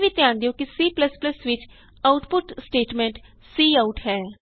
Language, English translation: Punjabi, Also, note that the output statement in C++ is cout